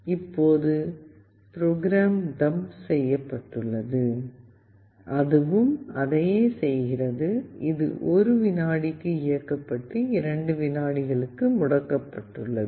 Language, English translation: Tamil, Now the code is dumped and it is also doing the same thing, it is on for 1 second and it is off for 2 seconds